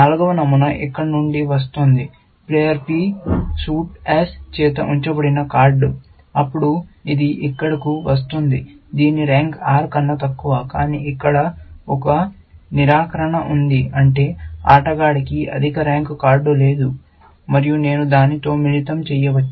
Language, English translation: Telugu, The fourth pattern is coming from here; card held by player P suit X, then it is coming here, whose rank is less than R, but then, there is a negation here, which means the player does not have a card of higher rank, and this I can combine with this